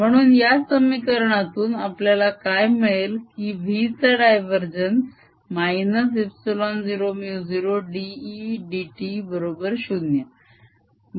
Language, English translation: Marathi, so what we have from these equations is divergence of v minus epsilon zero, mu zero d e d t is equal to zero